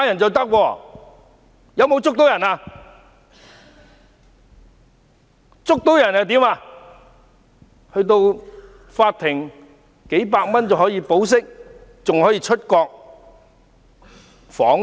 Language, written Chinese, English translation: Cantonese, 這些人在法庭上花數百元便可以保釋，還可以出國訪問。, Even if an assailant is arrested he will be released on bail by the court for just a few hundred dollars and then he can even go on an overseas visit